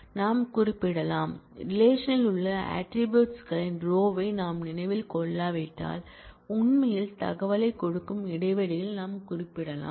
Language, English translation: Tamil, We can specify the; if we if we do not remember the order of attributes in the relation then we can also specify the order in which we are spaced actually giving the information